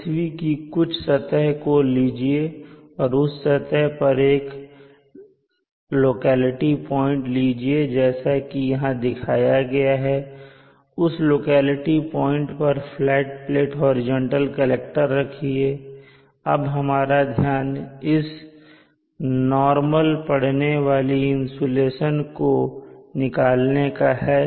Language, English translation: Hindi, To summarize consider a portion of the earth surface and on the surface there is a locality point as shown here and at that locality point I am placing a horizontal flat plate collector and out interest is to say how much amount of insulation falls on it perpendicularly normal to that surface